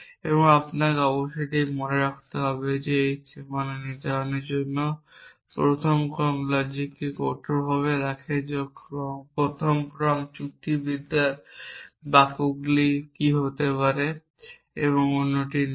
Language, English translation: Bengali, Now, you must keep this in mind this is strictly what keeps first order logic to define the boundary the first order logic what can what is the